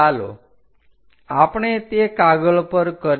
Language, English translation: Gujarati, Let us do that on the sheet